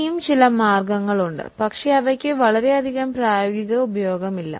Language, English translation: Malayalam, There are some more methods but they don't have much of practical utility